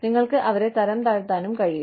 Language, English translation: Malayalam, You could, even demote them